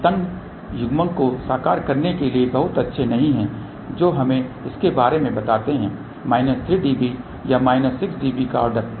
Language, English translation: Hindi, They are not very good for realizing tighter coupling which is let us say of the order of minus 3 db or minus 6 db